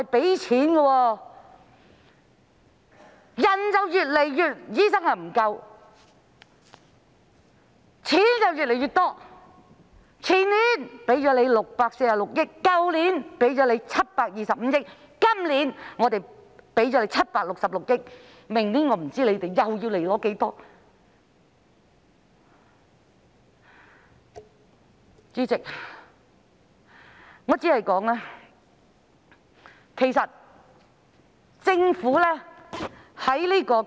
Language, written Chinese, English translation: Cantonese, 醫生越來越不足，撥款卻越來越多，前年撥款646億元，去年撥款725億元，今年撥款766億元，我不知道明年醫管局又會申請多少撥款。, While the shortage of doctors is deteriorating the amount of funding is increasing . The amount of funding was 64,600 million the year before last year 72,500 million last year and 76,600 million this year . I wonder how much funding HA will seek next year